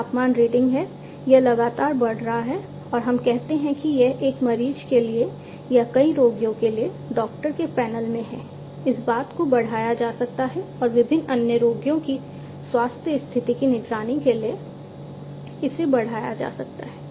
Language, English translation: Hindi, This is the temperature reading, this is continuously increasing and let us say that, this is at the doctors panel for one patient or for many patients also this thing can be extended and can be scaled up to monitor the health condition of different other patients